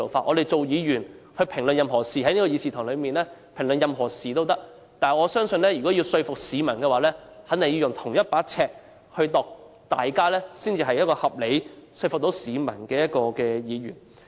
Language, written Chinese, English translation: Cantonese, 我們議員在議事堂可以評論任何事，但若要說服市民便肯定要用同一把尺，這樣才算是一位合理及能夠說服市民的議員。, While Members can comment on anything in this Chamber we can only convince members of the public by using the same yardstick . Only in so doing will we be regarded as a reasonable Member who can convince members of the public